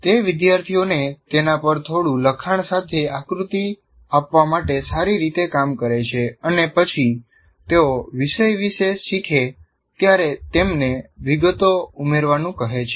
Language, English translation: Gujarati, And it works well to give students a diagram with a little text on it and then ask them to add details as they learn about the topic